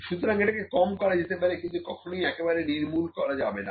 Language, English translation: Bengali, So, this can be reduced, but never can be eliminated